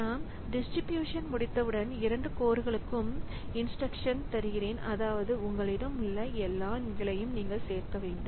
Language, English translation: Tamil, Once we have done the distribution after that I give the same instruction for both the codes telling that you add all the numbers that you have